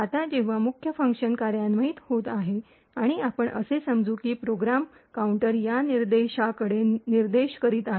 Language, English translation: Marathi, When the main function gets executed and let us assume that the program counter is pointing to this particular location